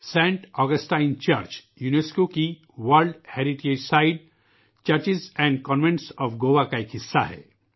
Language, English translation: Urdu, Saint Augustine Church is a UNESCO's World Heritage Site a part of the Churches and Convents of Goa